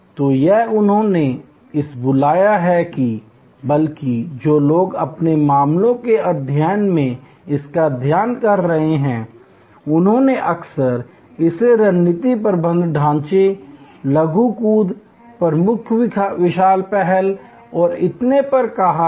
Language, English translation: Hindi, So, this is they have called it or rather the people who are studied this in their case studies, they have often called this in terms of the strategic management frameworks, the short jump, the major growth initiative and so on